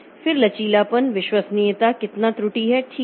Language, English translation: Hindi, Then flexibility, reliability, how much is the error